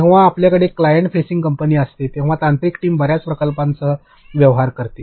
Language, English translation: Marathi, When you have a client facing company a technical team is dealing with lots of projects